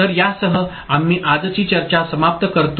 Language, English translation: Marathi, So, with this we conclude today’s discussion